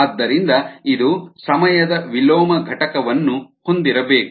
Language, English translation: Kannada, so it needs to have a unit of time inverse